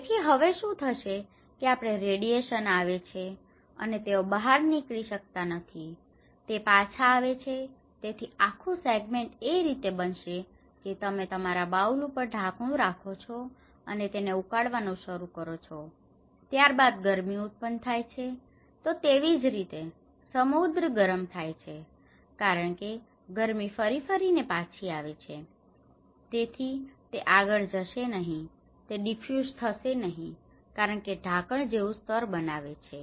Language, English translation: Gujarati, So, now what is happening is; we are; the radiations are coming, and then these are not passing out, it is coming back so, this whole segment so it is become like you kept a lid on the top of your bowel and then it started boiling then it is the heat is generated so, this is where the oceans are getting warmer, okay because the heat is coming back again and again so, it is not going further, it is not diffusing because this the layer is making like a cap